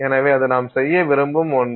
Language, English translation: Tamil, So, that is some thing that we want to do